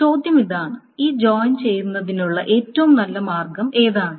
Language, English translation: Malayalam, The question is which is the best way of doing these joints